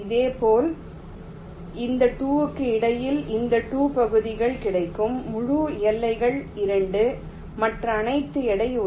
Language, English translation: Tamil, similarly, between these two, these two region, the whole boundaries available, that is two others are all weight one